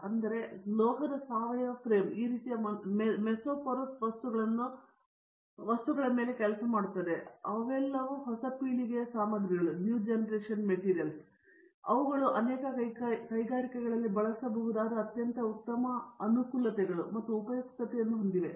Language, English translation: Kannada, So, this type of metal organic frame works mesoporous materials, they are all the new generation materials, they have a very great advantages and also utility they can be used in the many industries